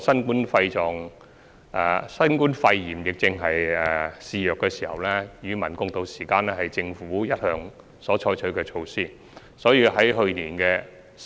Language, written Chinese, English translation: Cantonese, 現時新冠肺炎疫症肆虐，與民共渡時艱是政府一直採取的措施。, Amid the raging novel coronavirus outbreak the Government has been adopting the measure of standing together with the people to ride out the difficult times